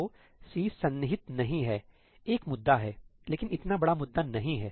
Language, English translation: Hindi, So, C not being contiguous is an issue, but not such a big issue